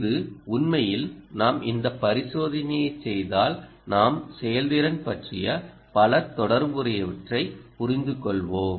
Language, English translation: Tamil, we, in fact, if you do this experiment, you understand many related things with respect to efficiency and so on